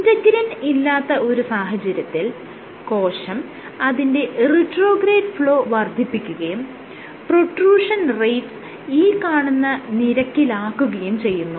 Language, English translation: Malayalam, When there is integrin not present, in this case what the cell does is it increases its retrograde flow and its protrusion rate is this